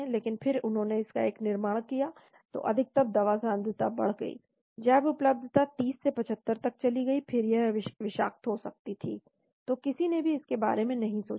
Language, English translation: Hindi, But then they made a formation of this , so the peak drug concentration increased, bioavailability went from 30 to 75 then it could become toxic, so nobody thought of that